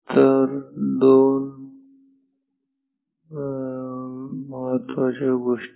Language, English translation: Marathi, So, two important things